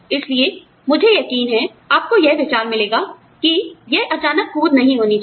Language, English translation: Hindi, So, I am sure, you get the idea that, you know, it should not be a sudden jump